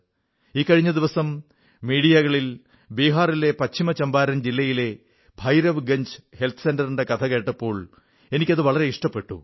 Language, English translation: Malayalam, Just recently, I came across on the media, a story on the Bhairavganj Health Centre in the West Champaran district of Bihar